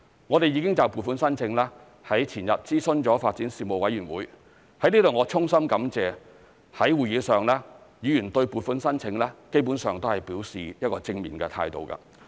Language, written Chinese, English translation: Cantonese, 我們已就撥款申請，在前日諮詢發展事務委員會，我在此衷心感謝在會議上議員對撥款申請基本上表示正面的態度。, We have already consulted the Panel on Development on the funding application the day before yesterday . I would like to express my sincere thanks to members for they have basically expressed a positive attitude towards the funding application at the meeting